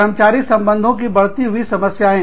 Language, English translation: Hindi, Increased number of employee relations issues